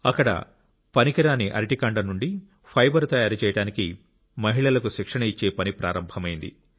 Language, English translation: Telugu, Here, the work of training women to manufacture fibre from the waste banana stems was started